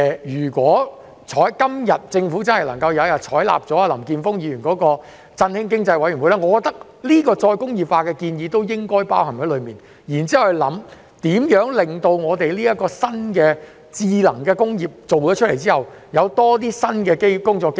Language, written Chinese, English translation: Cantonese, 如果政府今天真的能夠採納林健鋒議員有關成立振興經濟委員會的建議，我認為再工業化的建議亦應包含在內，然後研究在這個新的智能工業推出後，如何給予青年人更多新的工作機會。, If the Government can really accept Mr Jeffrey LAMs proposal of setting up an Economic Stimulation Committee today I think that the proposal of re - industrialization should also be included . Later after the introduction of this new smart industry a study should be conducted on how to provide young people with more new job opportunities